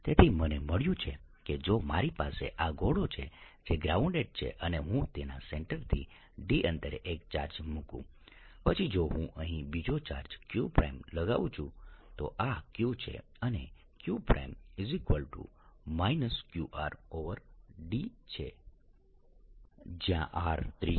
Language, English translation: Gujarati, so what i have found is that if i have this sphere which is grounded, and i put a charge at a distance d from its centre, then if i put another charge here, q prime, this is q, q prime equals minus q r over d